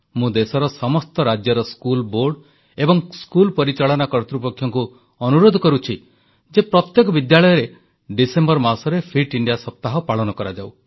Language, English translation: Odia, I appeal to the school boards and management of all the states of the country that Fit India Week should be celebrated in every school, in the month of December